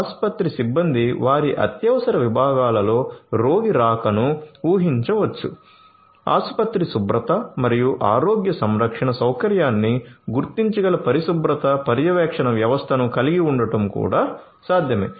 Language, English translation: Telugu, Hospital staff can predict the arrival of a patient in their emergency units; it is also possible to have hygiene monitoring system which can detect the cleanliness of the hospital and the healthcare facility